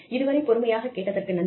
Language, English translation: Tamil, So, thank you for listening